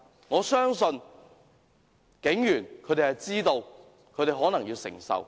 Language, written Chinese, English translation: Cantonese, 我相信警員知道自己可能要承受這個結果。, I believe the police officers know that they may have to accept the consequence